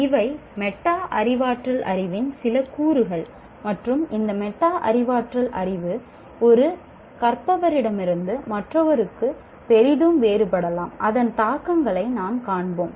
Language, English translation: Tamil, These are some elements of metacognitive knowledge and this knowledge, this metacognitive knowledge greatly differs from one's can differ from one student to the other, from one learner to the other